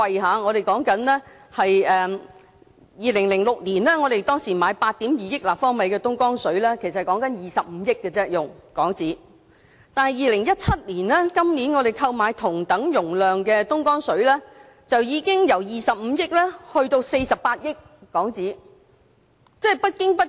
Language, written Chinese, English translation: Cantonese, 在2006年，我們使用了25億港元購買8億 2,000 萬立方米的東江水；但在2017年，購買同等容量的東江水，就已經由25億港元上升至48億港元。, In 2006 we spent HK2.5 billion to buy 820 million cu m of Dongjiang water . In 2017 the purchase price for the same quantity of Dongjiang water has gone up from HK2.5 billion to HK4.8 billion